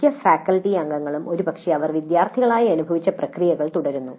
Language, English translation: Malayalam, Most of the faculty members probably follow the processes they experienced as students